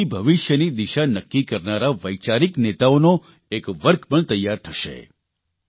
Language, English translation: Gujarati, This will also prepare a category of thought leaders that will decide the course of the future